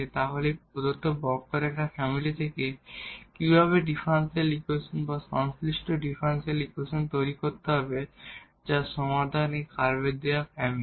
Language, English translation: Bengali, So, how to the find the solution; how to find the family of curves whether a particular family of curves or the general family of curves, of that will be as a solution of the given differential equation